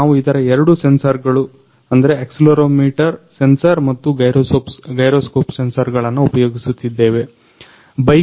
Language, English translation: Kannada, We are using only two sensor of; two sensor accelerometer sensor and gyro sensor of this sensor